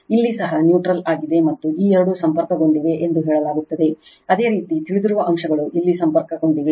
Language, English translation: Kannada, Here also neutral is there and this two are say connected, you know elements are connected here